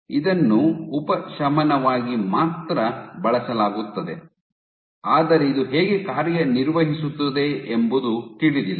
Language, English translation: Kannada, So, this is used only as a palliative, but how it works is not known